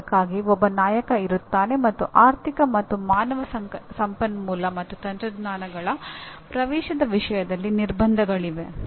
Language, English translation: Kannada, There will be a leader for that and there are constraints in terms of financial and human resources and access to technologies